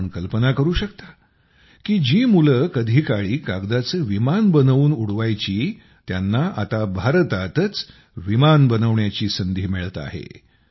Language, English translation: Marathi, You can imagine the children who once made paper airplanes and used to fly them with their hands are now getting a chance to make airplanes in India itself